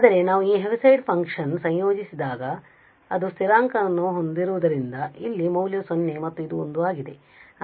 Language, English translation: Kannada, But what we observe that this Heaviside function when we integrate the value because it has a constant value here 0 and this is 1